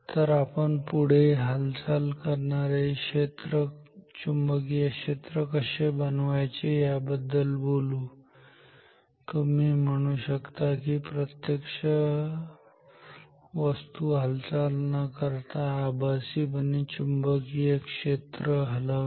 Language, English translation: Marathi, So, next thing we will talk about how to create a moving magnetic field ok, you can say of a virtually moving magnetic field without moving any object physically ok